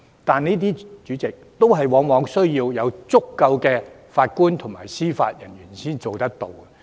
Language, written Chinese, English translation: Cantonese, 但是，主席，這些措施往往需要足夠的法官和司法人員才可以做到。, However President the implementation of these measures requires sufficient Judges and Judicial Officers